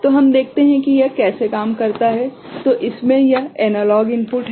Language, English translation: Hindi, So, let us see how it works; so in this, this is the analog input